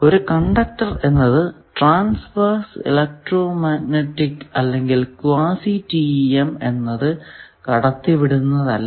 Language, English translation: Malayalam, So, single conductor does not support a traverse electromagnetic or quasi TEM type of waves